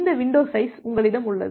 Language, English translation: Tamil, Then you have this window size